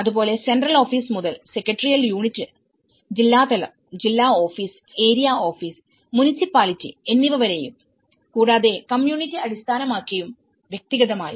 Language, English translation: Malayalam, Similarly, the central office to the secretarial unit, district level, district office, area office, municipality, community based and individually